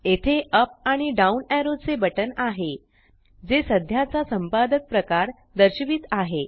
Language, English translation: Marathi, Here is a button with up and down arrow, displaying the current editor type